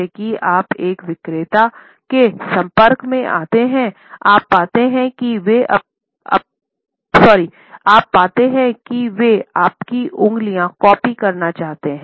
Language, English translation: Hindi, The moment you come across a salesperson, you would find that they want to occupy your fingers